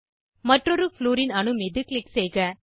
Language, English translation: Tamil, Click on the other Fluorine atom